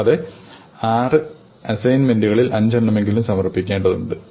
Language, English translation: Malayalam, You need to submit at least five or six; out of the six assignments